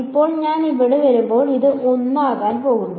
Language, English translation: Malayalam, And now by the time I come over here it is going to be 1 again